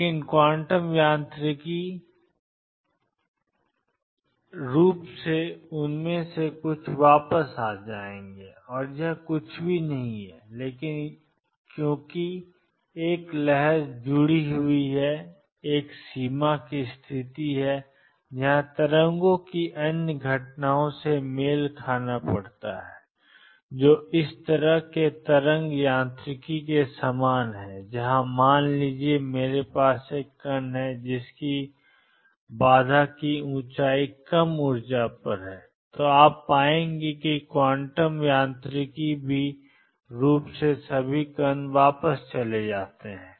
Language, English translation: Hindi, But quantum mechanically some of them would turned back and this is nothing, but because there is a wave associated and there is a boundary condition where waves have to match the other phenomena which is similar to this kind of wave mechanics is where suppose, I have a particle coming at energy lower than the barrier height, then you will find that even quantum mechanically all the particles go back none the less